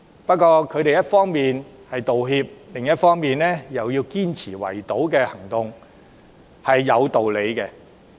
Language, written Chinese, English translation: Cantonese, 不過，他們一方面道歉，另一方面卻堅持圍堵行動有理。, Yet despite the apology they insisted that the blockade was justified